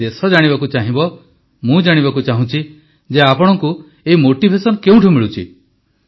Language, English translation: Odia, But the country would like to know, I want to know where do you get this motivation from